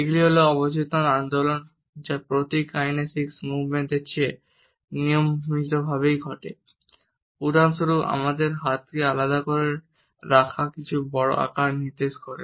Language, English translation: Bengali, They are subconscious movements which occur more regularly then emblematic kinesic movements for example, holding our hands apart to indicate the big size of something